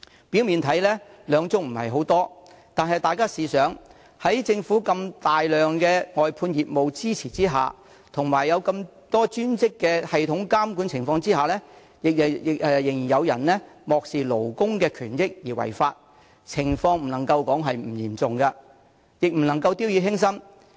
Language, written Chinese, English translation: Cantonese, 表面上，兩宗這個數字看似不多，但大家試想一下，在政府如此龐大的外判業務支持下及專職的系統監管下，仍然有人漠視勞工的權益而違法，情況不能說不嚴重，亦不可掉以輕心。, On the surface it seems that two cases are not a huge amount but come to think about this . With the support of such a large - scale outsourcing business of the Government and under the supervision of a dedicated system there are still people who disregarded employees rights and benefits in violation of the law . We cannot say that this is not a serious situation and we should not take it lightly